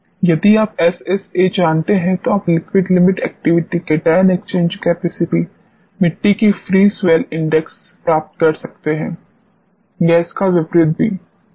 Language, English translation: Hindi, So, you can get liquid limit activity, cation exchange capacity, free swell index of the soil if you know SSA or vice versa